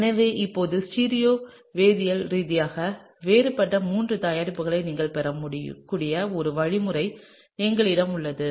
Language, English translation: Tamil, So now, we have a mechanism by which you could get three products, which are stereo chemically distinct, right